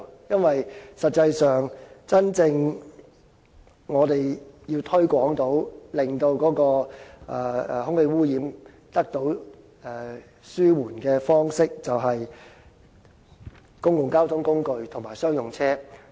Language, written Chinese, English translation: Cantonese, 因為實際上，我們要真正推廣電動車，從而令空氣污染得到紓緩的方式，便應推廣公共交通工具及商用車採用電動車。, Actually if we really wish to promote the use of EVs to reduce air pollution we should promote the use of EVs by commercial vehicles and public transport operators